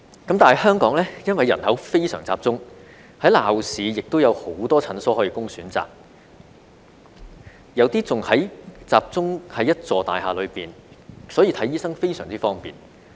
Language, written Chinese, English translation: Cantonese, 但是，香港因為人口非常集中，在鬧市亦有很多診所供選擇，有些更集中在一座大廈內，所以看醫生非常方便。, However the Hong Kong population is highly concentrated . There are many clinics available in the urban areas some of which are situated in the same building providing much convenience for people to see a doctor